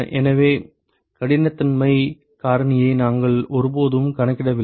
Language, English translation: Tamil, So, we never accounted for the roughness factor